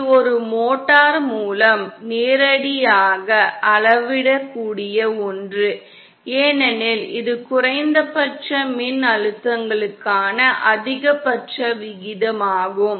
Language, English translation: Tamil, It is something that can be directly measured with a motor because it is the ratio of the maximum to the minimum voltages